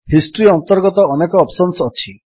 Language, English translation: Odia, Under History, there are many options